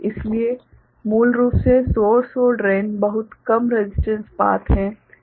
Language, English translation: Hindi, So, basically source and drain there is a veryy low resistance path